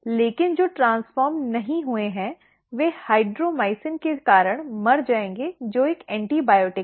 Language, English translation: Hindi, But, those which are not transformed they will die due to the hydromycin which is an antibiotic